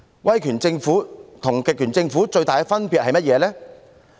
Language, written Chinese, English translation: Cantonese, 威權政府跟極權政府的最大分別是甚麼呢？, What is the greatest difference between an authoritarian government and a totalitarian one?